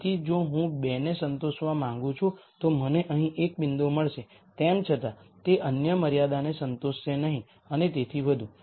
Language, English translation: Gujarati, So, if I want to satisfy 2, I will get a point here nonetheless it would not satisfy the other constraint and so, on